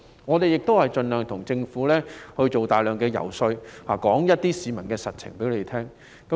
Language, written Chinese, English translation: Cantonese, 議員亦盡力為政府做大量遊說工作，將市民的實際情況告訴政府。, Members will also make their best efforts to undertake a great deal of lobbying for the Government and relay the actual situations of people to the Government